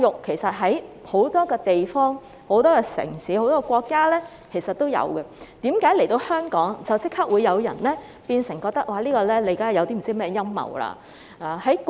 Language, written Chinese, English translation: Cantonese, 其實在很多地方、城市和國家都有這種教育，為何在香港推行便立即有人覺得這是陰謀呢？, In fact such kind of education exists in many places cities and countries . Why do people immediately regard it as a conspiracy when it is implemented in Hong Kong?